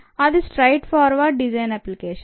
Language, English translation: Telugu, that's the straight forward design application